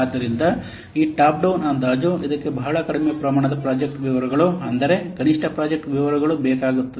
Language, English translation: Kannada, So, the top down estimation, it requires very few amount of project details, very minimal project details